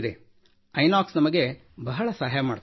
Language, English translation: Kannada, Inox helps us a lot